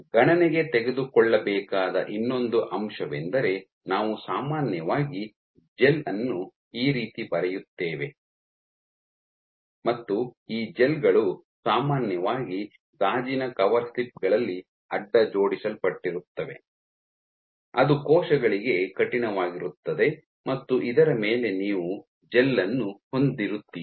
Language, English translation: Kannada, So, another aspect which has to be taking into consideration, so we generally draw the gel like this and these gels are typically cross linked onto glass coverslips which is rigid for the cells and on top of this you have a gel